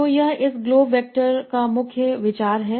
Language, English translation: Hindi, So this is the main idea here of this globe vectors